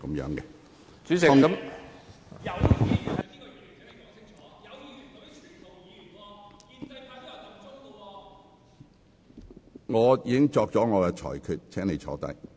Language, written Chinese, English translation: Cantonese, 陳志全議員，我已作出裁決，請坐下。, Mr CHAN Chi - chuen I have made the ruling . Please sit down